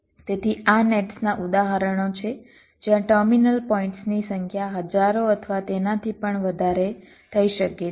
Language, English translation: Gujarati, so these are examples of nets where the number of terminal points can run into thousands or even more